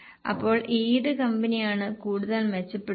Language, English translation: Malayalam, So which company has shown more improvement